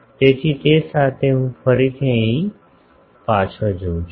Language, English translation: Gujarati, So, with that I again go back here